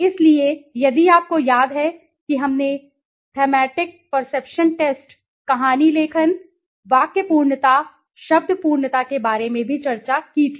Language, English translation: Hindi, So, if you remember we had also discussed about thematic perception test, story writing you know sentence completion, word completion